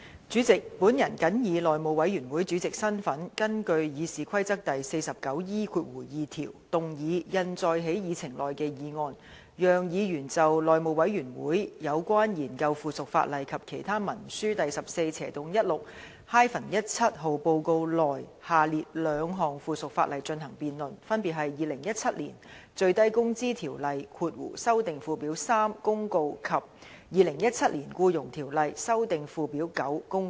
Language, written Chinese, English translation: Cantonese, 主席，本人謹以內務委員會主席的身份，根據《議事規則》第 49E2 條，動議印載在議程內的議案，讓議員就《內務委員會有關研究附屬法例及其他文書的第 14/16-17 號報告》內下列兩項附屬法例進行辯論，分別是《2017年最低工資條例公告》及《2017年僱傭條例公告》。, President in my capacity as Chairman of the House Committee I move the motion as printed on the Agenda under Rule 49E2 of the Rules of Procedure to enable Members to debate the following two items of subsidiary legislation included in Report No . 1416 - 17 of the House Committee on Consideration of Subsidiary Legislation and Other Instruments which are respectively the Minimum Wage Ordinance Notice 2017 and the Employment Ordinance Notice 2017